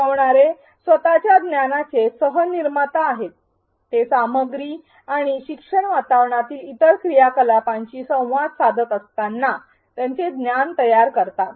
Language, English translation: Marathi, Learners are co creators of their own knowledge; they construct their knowledge as they interact with the content and with the other activities in the learning environment